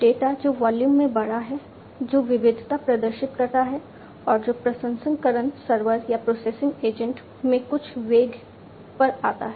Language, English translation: Hindi, Data which is large in volume which exhibits variety and which arrives at high velocities at the processing server or processing agent